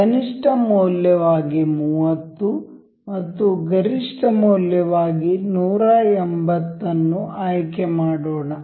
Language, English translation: Kannada, Let us just select 30 to be minimum and say 180 as maximum value